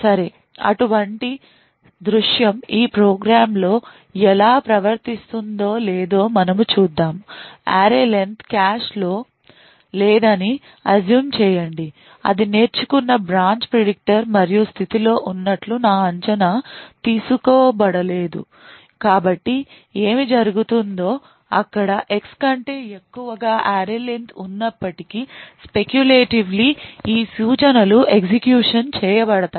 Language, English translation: Telugu, okay so let us see when a such a scenario occurs how this program behaves now since we have a assuming that array len is not present in the cache we also are assuming that the branch predictor it has learned and is in the state my prediction is not taken so there for a what would happen is that even though X is greater than array len these instructions within the if would be speculatively executed